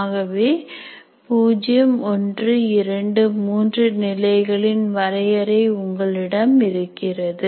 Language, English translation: Tamil, So, you have 1, 2, 3 levels defined like this